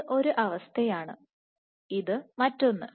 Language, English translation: Malayalam, This is one situation, this is another situation